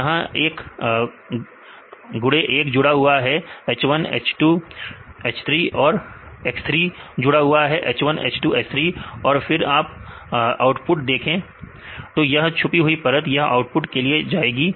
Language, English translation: Hindi, So, one x1 is connected with the h1, h2, h3, x3 is also connected with the h1, h2, h3 and x3 is also connected with the h1, h2, h3 then see the output